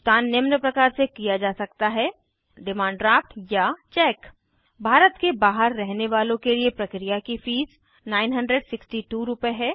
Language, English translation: Hindi, Payment can be made by Demand Draft Cheque For addresses outside India, the processing fee is Rs